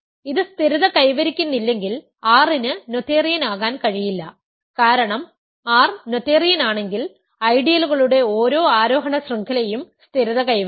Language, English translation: Malayalam, If it does not stabilize, R cannot be noetherian because if R is noetherian, every ascending chain of ideals must stabilize